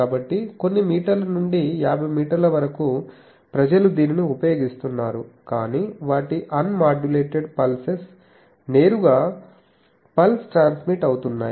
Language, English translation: Telugu, So, from few meters up to 50 meters people are using it, but their unmodulated signals directly the pulse is getting transmitted